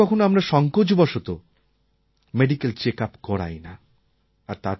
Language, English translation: Bengali, Sometimes we are reluctant to get our medical checkup done